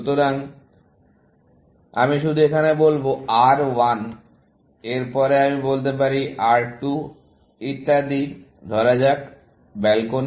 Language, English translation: Bengali, So, I will just say, R1 followed by, let us say R2 and so on, and let us say, balcony